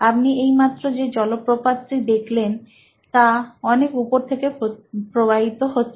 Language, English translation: Bengali, The waterfalls that you saw just now, came from a source on the top